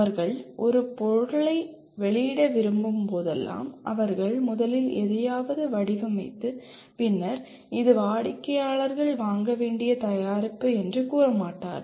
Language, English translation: Tamil, Whenever they want to release a product, they first do not design something and then say this is the product which the customers have to buy